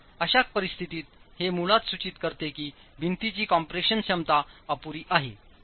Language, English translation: Marathi, Now in such a situation it basically implies that the compression capacity of the wall is inadequate